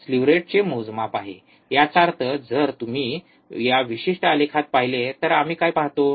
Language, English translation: Marathi, There is a measure of slew rate; that means, if you see in this particular graph, what we see